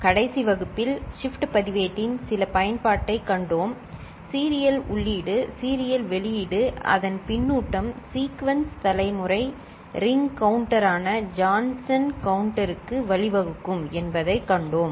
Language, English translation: Tamil, In the last class we saw certain application of shift register and there we saw that a feedback of the serial out as serial in can give rise to Sequence generation Ring counter, Johnson counter